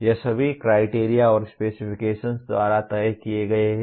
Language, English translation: Hindi, these are all decided by the criteria and specifications